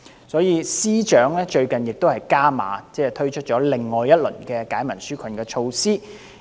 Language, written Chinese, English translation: Cantonese, 所以，司長最近加碼，推出另一輪利民紓困措施。, Hence the Financial Secretary rolled out another round of enhanced relief measures recently